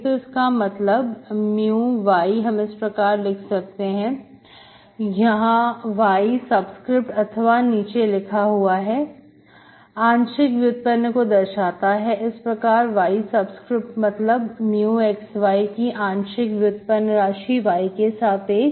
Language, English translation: Hindi, So that means mu y I write like this, this is the subscript denotes the partial derivative, mu is the function of x, y, so subscript, y subscription, y subscript means partial derivative of mu xY with respect to y, okay